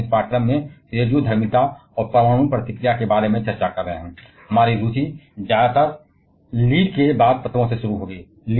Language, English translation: Hindi, As we are discussing about radioactivity and nuclear reaction in this course our interest will mostly be starting from the elements after Lead